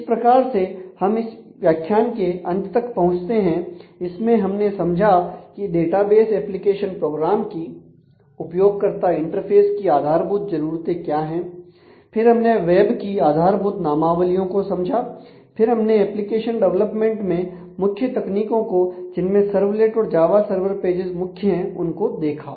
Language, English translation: Hindi, So, in this that brings us to the end of this current modules; so, what we have done we have understood the basic requirements of database application programs and user interfaces understood the basic terminology of the web and took a look into the core notion, core technologies of application development which is in terms of the servlets and Java server pages